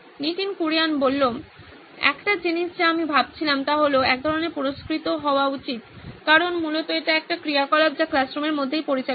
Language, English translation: Bengali, One thing I was thinking is some kind of rewarding should take place because essentially this is an activity that is conducted within the classroom itself